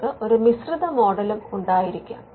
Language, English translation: Malayalam, You could also have a mixed model